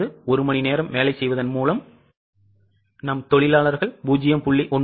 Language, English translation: Tamil, That means by working for 1 hour, our workers have only produced 0